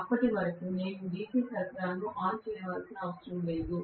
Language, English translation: Telugu, Until then I do not have to turn on the DC supply